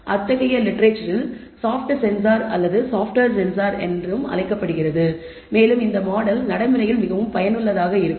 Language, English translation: Tamil, So, such a model is also known in the literature as a soft sensor or the software sensor and this model is very useful in practice